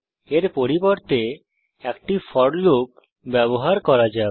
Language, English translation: Bengali, Instead, let us use a for loop